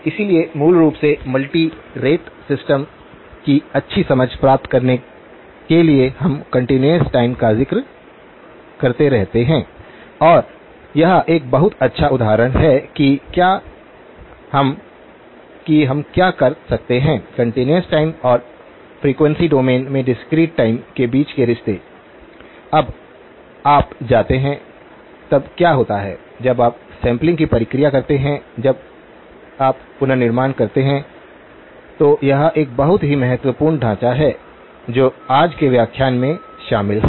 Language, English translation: Hindi, So, basically in order to get a good understanding of the multirate systems, we keep referring back to the continuous time and this is a very good example of what we could do, the relationships between continuous time and discrete time in the frequency domain, what happens when you go, when you do the process of sampling, when you do the reconstruction, this is a very, very important framework that is covered in today's lecture